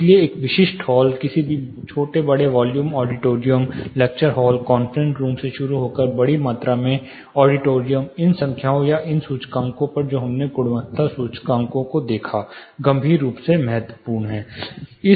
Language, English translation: Hindi, So, taking a typical hall, any small large volume auditoriums, starting from lecture hall conference room to large volume auditoriums, these numbers or these indices which we looked at quality indices are critically important